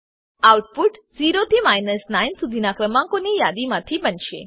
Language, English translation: Gujarati, The output will consist of a list of numbers 0 through 9